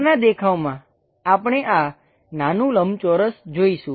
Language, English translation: Gujarati, On top view, we will be definitely seeing this small rectangle